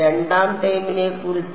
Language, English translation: Malayalam, What about the second term